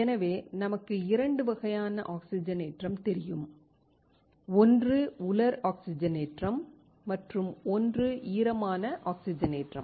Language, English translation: Tamil, Thus, we know 2 types of oxidation, one is dry oxidation, and one is wet oxidation